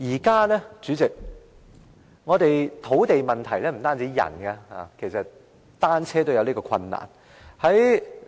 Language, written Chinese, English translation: Cantonese, 代理主席，現時土地問題不單影響人，連單車也受影響。, Deputy President nowadays not only people are affected by the problems of land supply bicycles are also affected